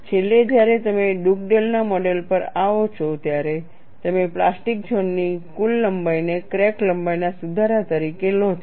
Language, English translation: Gujarati, Finally, when you come to Dugdale’s model, you take the total length of the plastic zone as the correction for crack length